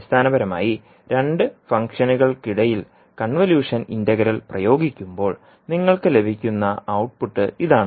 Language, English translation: Malayalam, So this is the basically the output which you will get when you apply convolution integral between two functions